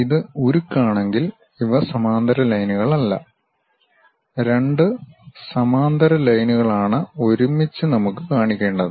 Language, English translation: Malayalam, If it is a steel, these are not just parallel lines, but two parallel line together we have to show with a gap